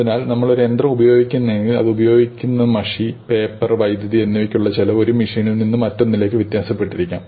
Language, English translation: Malayalam, So, if we use a machine; we use some resources, we use some ink, use paper, we use electricity and this cost may vary from one machine to another